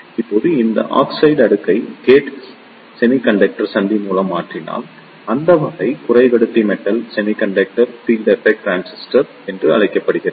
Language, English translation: Tamil, Now, if you replace this oxide layer by simply gate semiconductor junction, then that type of semiconductor is known as the Metal Semiconductor Field Effect Transistor